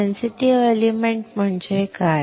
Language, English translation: Marathi, What is sensitive element